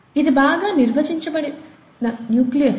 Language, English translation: Telugu, This is a well defined nucleus